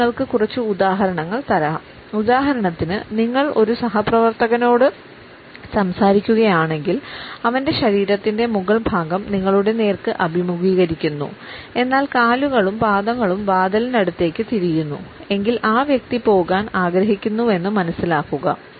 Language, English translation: Malayalam, Let me give you a couple of examples; if for instance you are talking to a co worker; whose upper body is faced toward you, but whose feet and legs have turned an angle toward the door; realize that conversation is over her feet are telling you she wants to leave